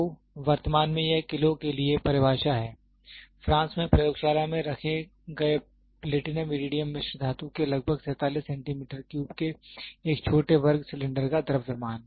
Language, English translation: Hindi, So, currently this is the definition for kg, the mass of a small square cylinder of approximately 47 cubic centimeter of Platinum Iridium alloy kept in the lab in France